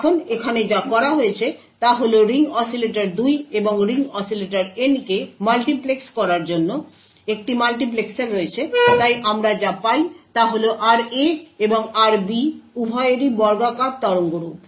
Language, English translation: Bengali, Now what is done over here is that there is a multiplexers to multiplex the ring oscillator 2 and the ring oscillator N therefore what we obtain is RA and RB both are square waveforms